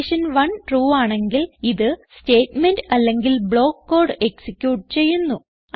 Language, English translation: Malayalam, If condition 1 is true, it executes the statement or block code